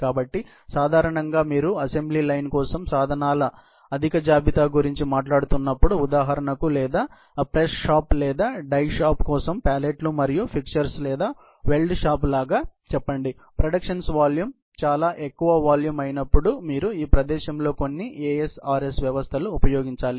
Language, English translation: Telugu, So, typically when you are talking about high level inventory of tools for an assembly line; for example, or let’s say pallets and fixtures for a press shop or a dye shop, or even like a weld shop and so on; you have to use some of these ASRS system in this place particularly, when the volume of the productions are very high volume